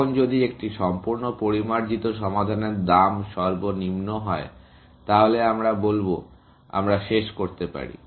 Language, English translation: Bengali, Now, if one fully refined solution has a lowest cost, then we will say; we can terminate